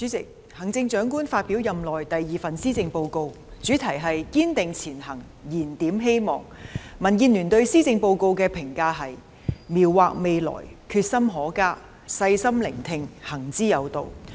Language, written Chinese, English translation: Cantonese, 主席，行政長官發表任內第二份施政報告，主題是"堅定前行燃點希望"，民主建港協進聯盟對施政報告的評價是："描劃未來，決心可嘉；細心聆聽，行之有道"。, President the Chief Executive has presented the second Policy Address within her term of office entitled Striving Ahead Rekindling Hope . The comments of the Democratic Alliance for the Betterment of Hong Kong DAB on the Policy Address are Depiction of the future with commendable determination; Listen carefully and act with good reasons